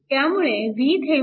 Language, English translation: Marathi, So, this is your V Thevenin